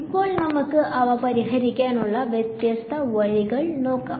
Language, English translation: Malayalam, So, now let us look at the different ways of solving them